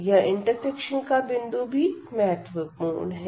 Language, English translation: Hindi, The point of intersection that is also important